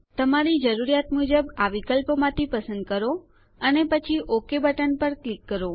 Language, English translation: Gujarati, Choose from these options as per your requirement and then click on the OK button